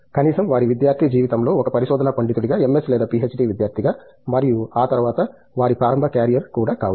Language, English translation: Telugu, At least, during their student life as a research scholar as a MS or PhD student and may be even their early carrier after that